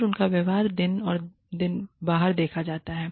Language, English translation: Hindi, And, their behavior is observed, day in, and day out